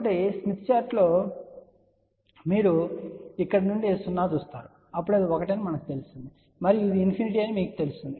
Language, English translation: Telugu, So, along this smith chart, you see from here 0 then you know it is 1 and you know it is infinity